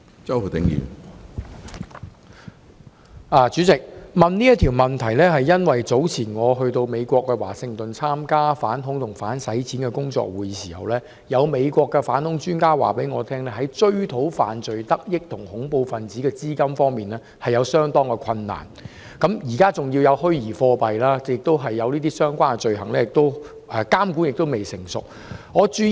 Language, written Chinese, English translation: Cantonese, 主席，我提出這項質詢，是因為早前我前往美國華盛頓參加反恐及打擊洗錢的工作會議時，有美國反恐專家告訴我，在追討犯罪得益及恐怖分子資金方面相當困難，加上現在有虛擬貨幣，而當局對相關罪行的監管亦未成熟，困難因而更大。, President I raise this question because when I participated in a work conference on anti - terrorism and combating money laundering earlier in Washington DC I was told by a United States counter - terrorism expert that it is very difficult to recover proceeds of crime and terrorist financing; now there are also virtual currencies but the authorities regulation against relevant crimes is still immature the difficulty is thus greater